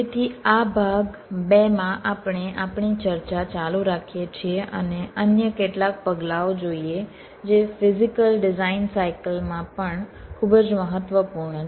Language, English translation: Gujarati, so in this part two we continued discussion and look at some of the other steps which are also very important in the physical design cycle